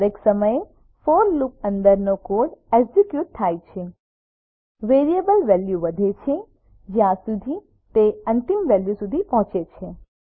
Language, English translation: Gujarati, Every time the code inside for loop is executed, variable value is incremented, till it reaches the end value